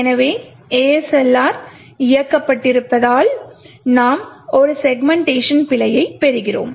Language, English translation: Tamil, So, because ASLR is enabled therefore we get a segmentation fault